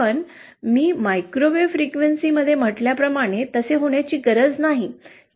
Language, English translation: Marathi, But as I said in microwave frequency that need not be the case